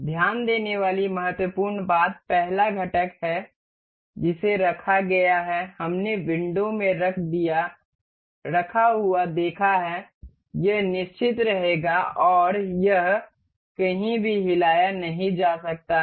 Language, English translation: Hindi, The important thing to note is the first component that we have been placed, we have see placed in the window this will remain fixed and it cannot move anywhere